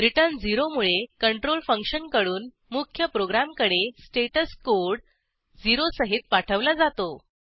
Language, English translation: Marathi, return 0 moves the control from function to main program with status code 0